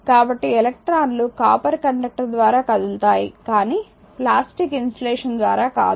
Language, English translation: Telugu, So, electrons actually readily move through the copper conductor, but not through the plastic insulation